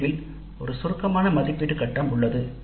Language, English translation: Tamil, At the end there is a summative evaluate phase